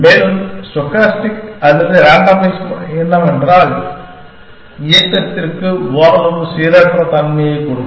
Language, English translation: Tamil, And what stochastic or randomize method say is that give some degree of randomness to the movement